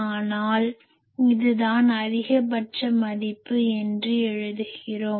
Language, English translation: Tamil, But you write here that this is the maximum value